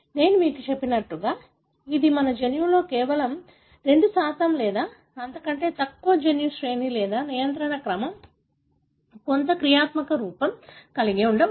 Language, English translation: Telugu, As I told you, it is only 2% of our genome or less than that may have the gene sequence or regulatory sequence, some functional form